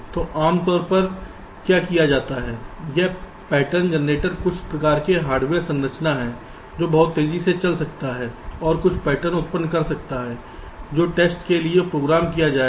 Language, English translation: Hindi, so typically what is done, this pattern generator, is some kind of a hardware structure which can run very fast and generate some patterns which will be use for testing